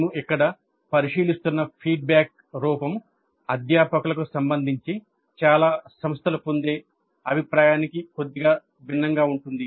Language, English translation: Telugu, The feedback form that we are considering here is slightly different from the feedback that most of the institutes do get regarding the faculty